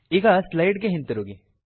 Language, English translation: Kannada, Now switch back to our slides